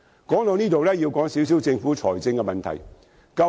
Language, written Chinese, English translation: Cantonese, 說到這裏，要談談政府的財政問題。, Here we have to talk about the financial problem of the Government